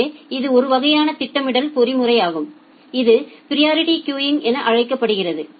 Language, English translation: Tamil, So, this is one type of scheduling mechanism which is called priority queuing